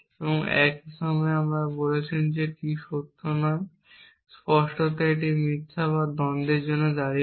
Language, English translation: Bengali, And at the same time you are saying not T is true and obviously that stands for false or contradiction